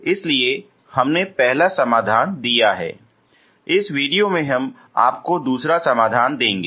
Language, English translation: Hindi, So we have given first solution, in this video we will give you a second solution